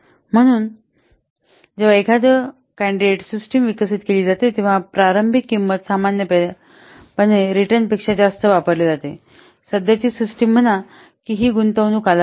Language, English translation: Marathi, So when a candidate system is developed, the initial cost or normally usually exceed those of the return current system, this is an investment period, obvious